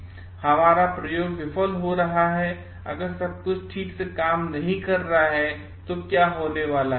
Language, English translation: Hindi, If our experiment is going to fail, if everything is not going to work properly, then what is going to happen